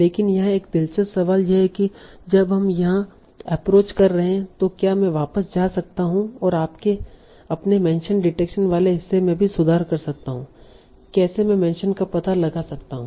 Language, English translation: Hindi, But here there is an interesting question that by using all this approach, when we are doing all this approach, can I go back and also improve my mention detection part